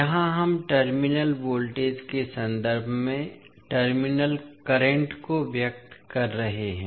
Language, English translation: Hindi, Here, we are expressing the terminal currents in terms of terminal voltages